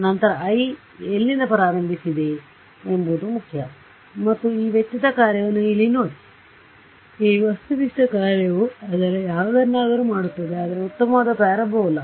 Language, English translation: Kannada, Then of course, it matters where I started from, and look at this cost function over here, this objective function its anything, but a nice parabola right